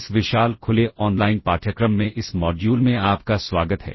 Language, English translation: Hindi, Welcome to this module in this massive open online course